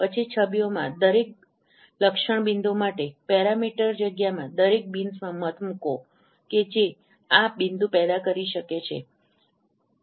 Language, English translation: Gujarati, Then for each feature point in the image, put a vote in every bin in the parameter space that could have generated this point